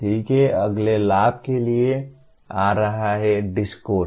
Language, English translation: Hindi, Okay, coming to the next advantage, “discourse”